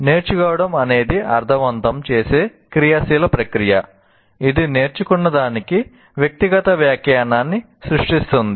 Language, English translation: Telugu, Learning is an active process of making sense that creates a personal interpretation of what has been learned